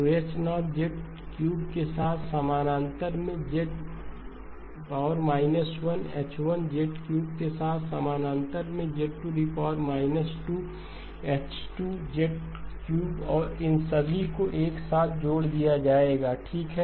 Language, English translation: Hindi, So H0 of Z cubed in parallel with Z inverse H1 in parallel with Z minus 2 H2 cubed and all of these terms will get added together okay